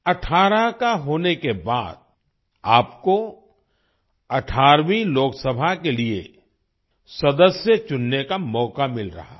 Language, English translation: Hindi, On turning 18, you are getting a chance to elect a member for the 18th Lok Sabha